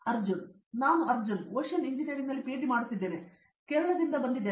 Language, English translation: Kannada, I am Arjun, I am doing PhD in Ocean Engineering and I am from Kerala